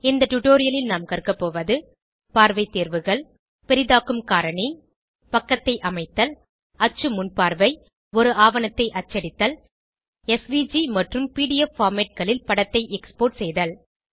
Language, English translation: Tamil, In this tutorial we will learn View options Zoom factor Page setup Print Preview Print a document Export an image as SVG and PDF formats